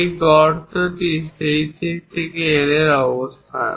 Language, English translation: Bengali, This hole is at a location of L in this direction